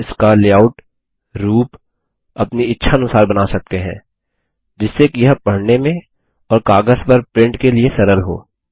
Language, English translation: Hindi, We can customize its layout, look and feel, so that it is easy to read or print on paper